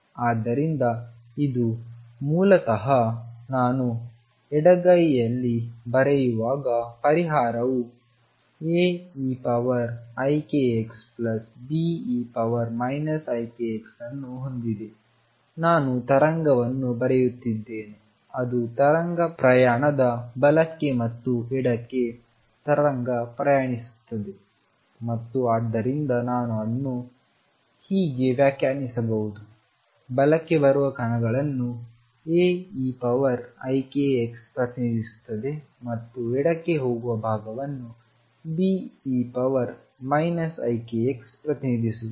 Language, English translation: Kannada, So, this is basically when I write on the left hand side the solution has A e raised 2 i k x plus B e raised to minus i k x, I am writing a wave which is superposition of wave travelling to the right and wave travelling to the left and therefore, I could interpret A e raised to i k x as representing particles coming to the right and B e raised to minus k x as representing part of these going to the left